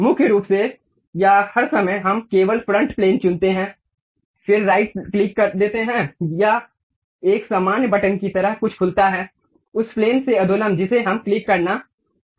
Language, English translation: Hindi, Mainly or all the time we pick only front plane, then give a right click, it open something like a normal button, normal to that plane we have to click